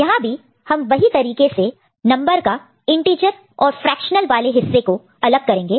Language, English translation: Hindi, So, here what we do again we follow the same process, we divide the number into integer part and fractional part